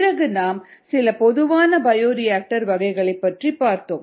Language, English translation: Tamil, then we looked at common bioreactor types, some common bioreactor types